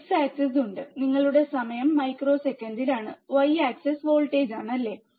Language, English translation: Malayalam, There is a x axis is your time in microseconds, y axis is voltage, right